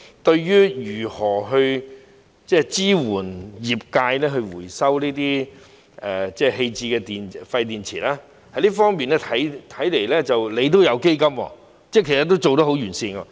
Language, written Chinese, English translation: Cantonese, 關於如何支援業界回收這些棄置的廢電池，這方面是設有基金的，其實已做得相當完善。, Concerning how to support the industry in recycling discarded waste batteries the Fund has been set up for this purpose which is in fact quite comprehensive